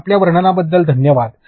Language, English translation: Marathi, So, thank you for your description